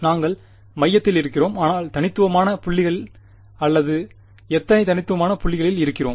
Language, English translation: Tamil, We are, along the center, but at discrete points or how many discrete points